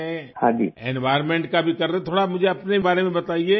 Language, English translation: Urdu, And for the environment too, tell me a little about yourself